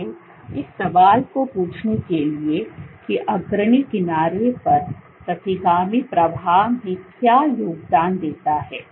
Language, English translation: Hindi, So, to do ask this question so what contributes to retrograde flow at the leading edge